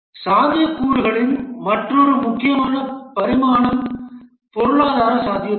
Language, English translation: Tamil, Another important dimension of the feasibility is the economic feasibility